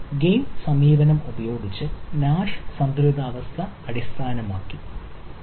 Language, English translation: Malayalam, so that is a nash equilibrium based using game approach